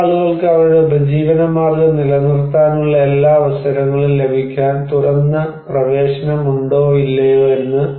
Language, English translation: Malayalam, Some people whether the people have open access to get all the opportunities to maintain their livelihood or not